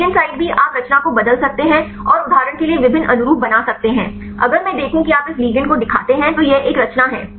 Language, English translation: Hindi, Ligand site also you can change the conformation and make various conformations right for example, if I see you show this ligand this is one conformation